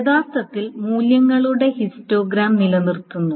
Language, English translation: Malayalam, Then generally the histogram of values is being maintained